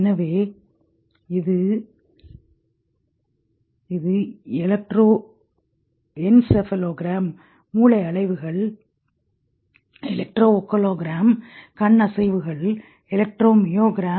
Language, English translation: Tamil, So, it's the electroencephalogram brain waves, electroaculogram eye movements, electro myogram